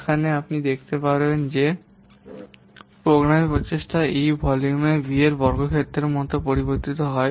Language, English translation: Bengali, Here you can see the programming effort varies as what square of the volume v